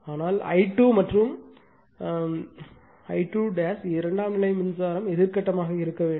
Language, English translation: Tamil, But I 2 dash and I 2 the secondary current must been anti phase